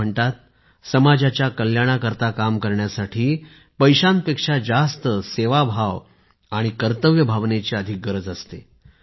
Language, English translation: Marathi, It is said that for the welfare of the society, spirit of service and duty are required more than money